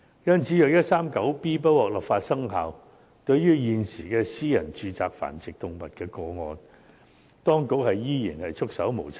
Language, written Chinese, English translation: Cantonese, 因此，如果第 139B 章不獲准生效，對於現時在私人住宅繁殖動物的個案，當局將依然是束手無策。, Therefore if Cap . 139B is not allowed to come into effect there is nothing the authorities can do to tackle the problem of animal breeding in private homes . Cap